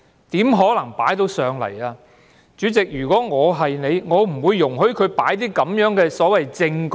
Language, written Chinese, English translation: Cantonese, 如果我是主席的話，我斷不會容許他提交他所謂的"證據"。, If I were the President I definitely would not have permitted him to present his so - called evidence